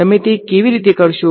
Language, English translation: Gujarati, How would you do it